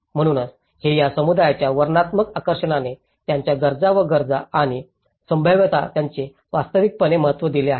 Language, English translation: Marathi, So, this has been the descriptive lure of a community have actually given a significant understanding of their needs and wants and the feasibilities